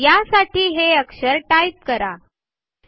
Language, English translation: Marathi, You are required to type these letters